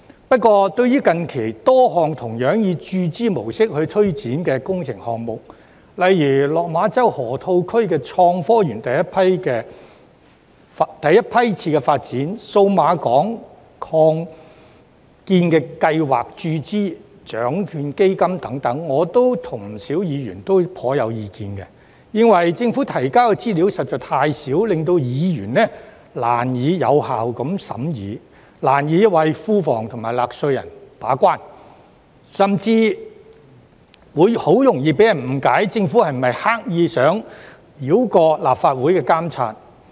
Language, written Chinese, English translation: Cantonese, 不過，對於近期多項同樣以注資模式推展的工程項目，例如落馬洲河套區港深創新及科技園第一批次發展、數碼港擴建計劃、獎券基金等，我與不少議員都頗有意見，認為政府提交的資料實在太少，令議員難以有效地審議，難以為庫房及納稅人把關，甚至很容易被人誤以為政府刻意想繞過立法會的監察。, Yet regarding a number of recent works projects funded in the form of capital injection likewise such as the first phase of Hong Kong - Shenzhen Innovation and Technology Park in Lok Ma Chau Loop the Cyberport expansion project and the Lotteries Fund Members and I are not quite satisfied as the information provided by the Government is too little for Members to scrutinize the items effectively making it hard for us to act as the gatekeeper for the Treasury and the taxpayers . It may even cause misunderstanding among some people that the Government wants to circumvent the monitoring of the Legislative Council